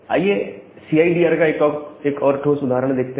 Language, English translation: Hindi, Now, let us see another concrete example of CIDR